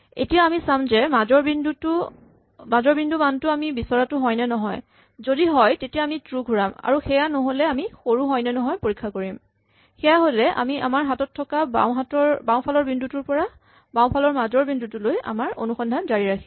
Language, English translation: Assamese, Now we check whether the value is the value at that midpoint if so we return true, if it is not then we check whether the smaller, if so we continue our search from the existing left point till the left of the midpoint